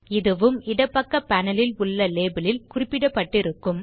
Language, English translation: Tamil, This will also be mentioned in the Label on the left panel